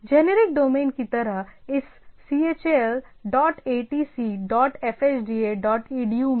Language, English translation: Hindi, Like for generic domain like in this “chal dot atc dot fhda dot edu”